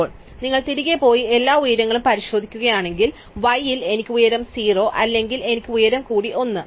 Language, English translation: Malayalam, And now, if you go back and check all the heights, then you find that at y I either have height 0 or I have height plus 1